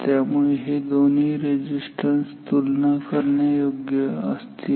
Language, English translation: Marathi, So, therefore, these 2 resistances are comparable